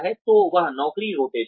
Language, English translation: Hindi, So, that is job rotation